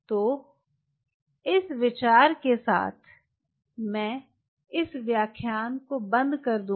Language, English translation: Hindi, so with this thinking i will closing this lecture